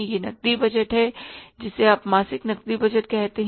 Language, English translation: Hindi, You call it as that is the monthly cash budget